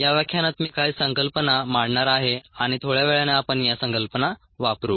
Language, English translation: Marathi, i am going to present some concepts, ah, and we will use the concepts a little later